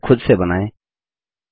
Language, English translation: Hindi, Create this picture on your own